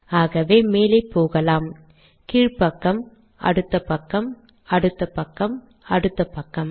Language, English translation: Tamil, If I go to the next page, next page, next page, next page, next page and so on